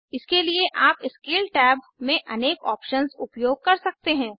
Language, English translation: Hindi, For this you can use the various options in the Scale tab